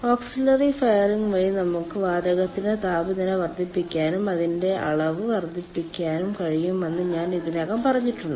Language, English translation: Malayalam, i have already told that by auxiliary firing we can increase the temperature of the gas and increase its volume so more power can be generated on the steam site